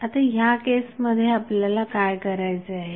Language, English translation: Marathi, So, what we have to do in that case